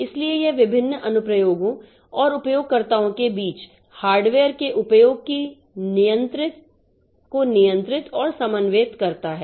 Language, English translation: Hindi, So, it controls and coordinates use of hardware among various applications and users